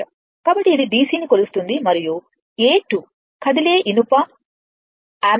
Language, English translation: Telugu, So, it will measure DC and A 2 is the moving iron ammeter